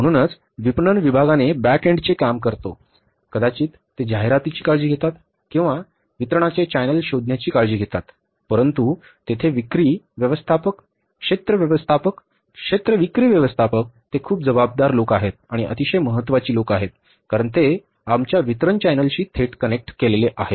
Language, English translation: Marathi, So, marketing department does the back and job, maybe they take care of the advertising or they take care of say looking for the channels of distribution but the sales and distribution force who are there in the market, sales managers, area managers, area sales manager, they are very, very responsible people and very very important point because they are directly connected to our channel of distribution